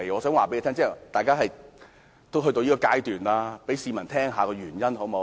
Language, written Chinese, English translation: Cantonese, 反正已經到了這個階段，請讓市民知悉箇中原因，好嗎？, As the case now stands please let the public learn about the whys and wherefores . Is that okay?